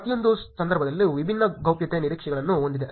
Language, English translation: Kannada, Every context has different privacy expectations